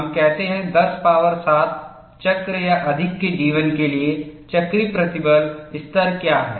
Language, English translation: Hindi, We say what is the cyclic stress level permitted to a life of 10 power 7 cycles or more